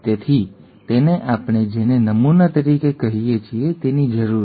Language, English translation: Gujarati, So it needs what we call as a template